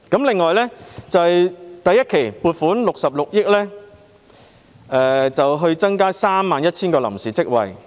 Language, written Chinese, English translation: Cantonese, 另外，預算案再撥款66億元創造 31,000 個臨時職位。, Moreover the Budget further allocates 6.6 billion to create 31 000 temporary jobs